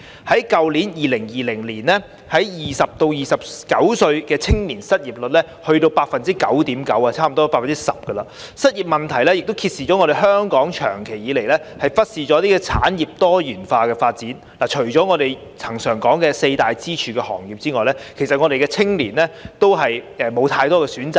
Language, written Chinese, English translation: Cantonese, 在去年2020年 ，20 歲至29歲青年的失業率達 9.9%， 差不多 10%， 失業問題亦揭示香港長期以來忽視產業多元化發展，除了我們恆常提到的四大支柱行業外，其實我們的青年人也沒有太多選擇。, In last year that is 2020 the unemployment rate of young people aged from 20 to 29 was 9.9 % nearly 10 % . The unemployment situation also shows a long period of negligence of the pluralistic development of our industries . Other than the four major pillar industries that we often talk about actually young people do not have much choice